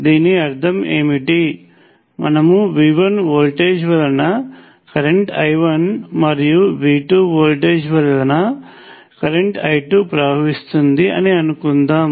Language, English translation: Telugu, And what does this mean, so if let say you have a volt as V 1 which results in a current I 1 and voltage V 2, which result in a current I 2